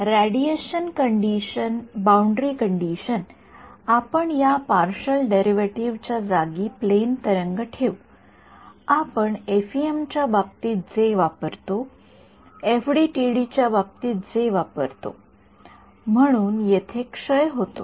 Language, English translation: Marathi, The radiation boundary condition, where we replace this partial the special derivative by the plane wave thing the; what we have we use in the case of FEM we use in the case of FDTD right, so, decays over here